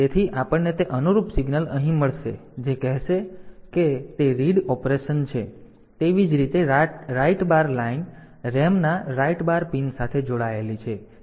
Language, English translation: Gujarati, So, any of them being we will get that corresponding signal here telling that it is a it is read operation similarly write bar line is connected to the write bar pin of the RAM